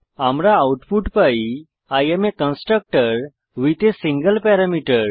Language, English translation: Bengali, We get the output as I am constructor with a single parameter